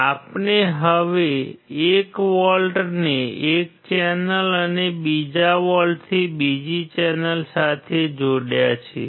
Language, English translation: Gujarati, We have now connected 1 volt to one channel and second volt to second channel